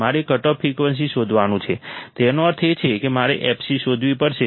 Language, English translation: Gujarati, I have to find the cutoff frequency; that means, I have to find fc